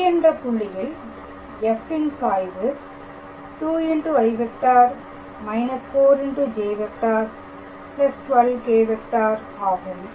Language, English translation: Tamil, So, gradient of f at the point P is 2 i minus 4 j plus 12 k